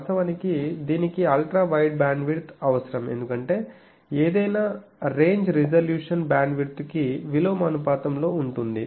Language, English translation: Telugu, Actually it requires Ultra wide bandwidth because any range resolution is a inversely proportional to the bandwidth